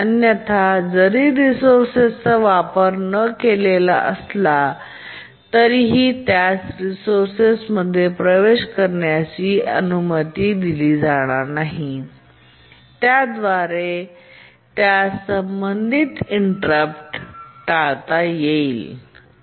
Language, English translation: Marathi, Otherwise even if the resource is unused still it will not be allowed access to the resource and we say that it undergoes avoidance related inversion